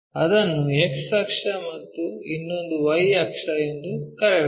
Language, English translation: Kannada, Let us call this one X axis, somewhere Y axis